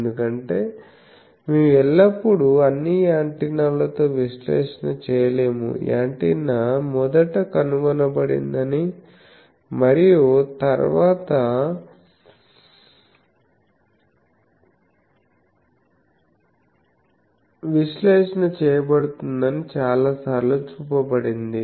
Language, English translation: Telugu, Because always we cannot do analysis with all the antennas, many times it has been shown that antenna is first invented and then it is analysis comes